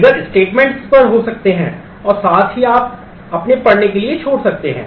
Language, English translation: Hindi, Triggers can be on statements as well you can decide leave for your reading